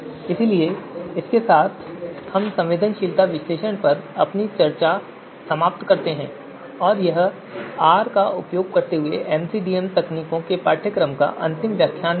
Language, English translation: Hindi, So with this we conclude our discussion on sensitivity analysis and this is also the final lecture of this course MCDM techniques using R